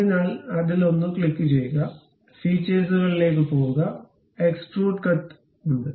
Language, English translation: Malayalam, So, click that one, this one, go to features, there is extrude cut